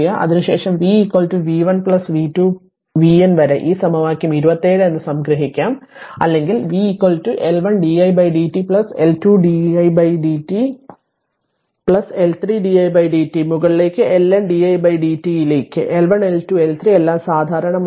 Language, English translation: Malayalam, Then will write v is equal to v 1 plus v 2 up to v N sum it up this equation 27, then or v is equal to L 1 into di by dt plus L 2 into d 2 by di by dt plus L 3 di by dt andso on up to L N di by dt right you take L 1 L 2 L 3 all common